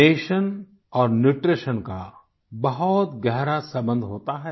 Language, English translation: Hindi, Nation and Nutriti on are very closely interrelated